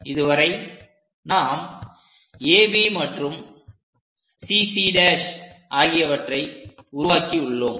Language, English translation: Tamil, So, we have already constructed AB and CC prime